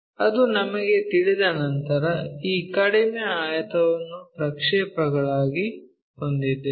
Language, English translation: Kannada, Once we know that we have this reduced rectangle as a projection